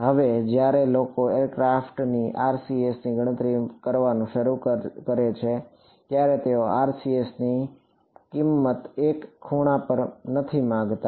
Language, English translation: Gujarati, Now when people start calculating the RCS of some aircraft they do not want the value of the RCS at one angle